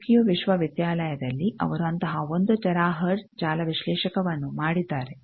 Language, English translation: Kannada, In Tokyo university they have made one such 1 tera hertz network analyzer